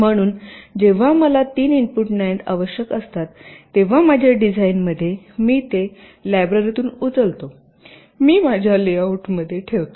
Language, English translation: Marathi, so in my design, whenever i need a three input nand, i simply pick it up from the library, i put it in my layout